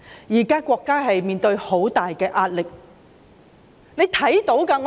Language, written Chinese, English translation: Cantonese, 現時國家面對很大壓力，是大家也看到的。, The State is now facing enormous pressure and we can all see that